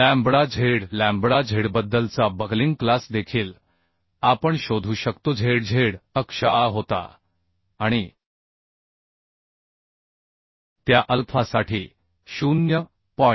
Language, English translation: Marathi, 2439 lambda z lambda z we can find out also the buckling class about z z axis was a and for that alpha 0